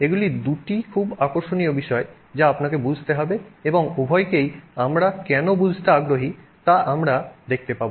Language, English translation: Bengali, These are two very interesting points that you have to understand and we will see why it is of interest to understand both